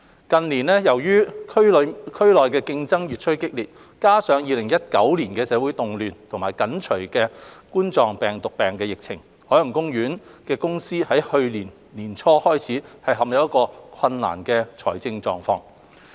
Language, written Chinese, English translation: Cantonese, 近年，由於區內競爭越趨激烈，再加上2019年的社會動亂及緊隨的2019冠狀病毒病疫情，海洋公園公司於去年年初開始陷入困難的財政狀況。, In recent years due to intensifying regional competition coupled with the social disorder in 2019 and the Coronavirus Disease 2019 pandemic that followed OPC has plunged into financial difficulties since early last year